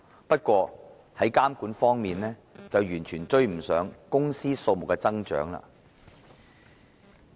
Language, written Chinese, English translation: Cantonese, 不過，監管工作卻完全追不上公司數目的增長。, However the regulatory efforts have absolutely failed to cope with the rise in the number of such companies